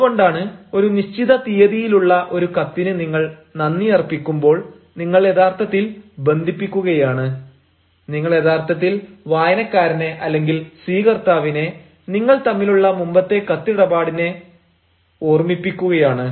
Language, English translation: Malayalam, that is why, when you put thank you for a letter dated such and such, you are actually connecting, you are actually reminding the reader or the recipient of a previous correspondence between the two